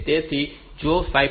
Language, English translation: Gujarati, So, if this 5